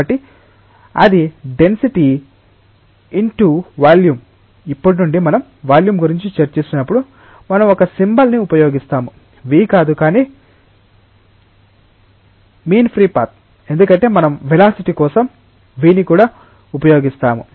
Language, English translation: Telugu, So, that is the density into volume, from now onwards whenever we will be discussing about the volume, we will be using a symbol not v ah, but v with a strike through, because we will be using v for velocity also